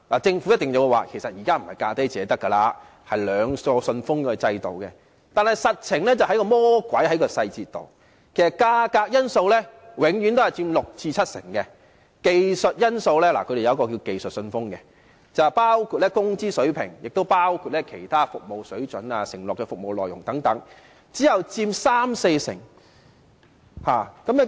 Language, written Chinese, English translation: Cantonese, 政府一定會表示現時已經不是"價低者得"，而是採用"兩個信封"的制度，但實際上，魔鬼在細節當中，其實價格因素永遠佔六成至七成，技術因素——他們有一個名為"技術信封"——包括工資水平、其他服務水準和承諾的服務內容等，只佔三成至四成。, The Government will certainly say that now it has already adopted the two - envelope system instead of the approach of the lowest bid wins . In reality however the devil lies in the details . In fact the price factor always accounts for 60 % to 70 % whereas the technical factors―they have the so - called technical envelope―including the wage level other service standards particulars of the services pledged etc account for only 30 % to 40 %